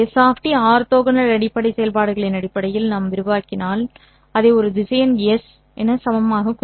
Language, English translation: Tamil, I know that S of T if I expand it in terms of the orthonormal basis functions can be equivalently represented as a vector S